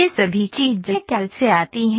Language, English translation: Hindi, All these things come from CAD